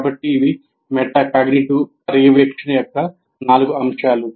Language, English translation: Telugu, So these are the four elements of metacognitive monitoring